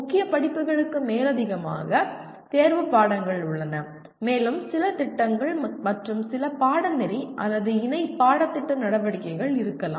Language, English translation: Tamil, In addition to core courses, there are electives and also there are may be some projects and some extracurricular or co curricular activities